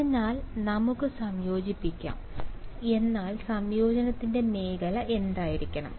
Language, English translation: Malayalam, So, let us integrate, but what should be the region of integration